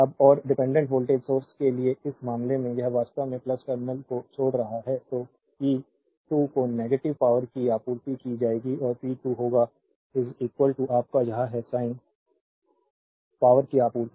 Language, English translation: Hindi, Now, and in this case for dependent voltage source this actually leaving the plus terminal so, p 2 will be negative power supplied and p 2 will be is equal to your, this is minus sign power supplied